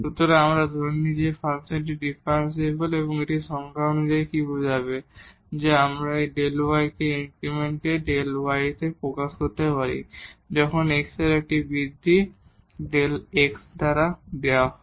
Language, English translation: Bengali, So, we assume that the function is differentiable and what this will imply as per the definition that we can express this delta y increment in delta y when an increment in x is given by delta x